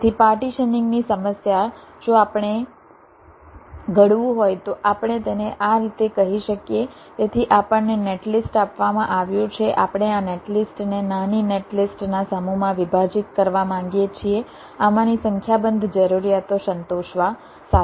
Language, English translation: Gujarati, if we want to formulate so we can say it like this: so we are given a netlist, we are wanting to partition this netlist into a set of smaller netlists, with a number of these requirements to be satisfied